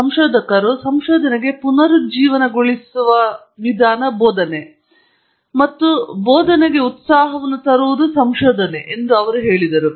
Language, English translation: Kannada, He said research brings passion to teaching and teaching rejuvenates the researcher